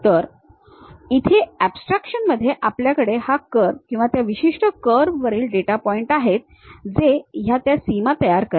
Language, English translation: Marathi, So, something like here, in a abstractions we have this curve or the data points on that particular curve and those forming boundaries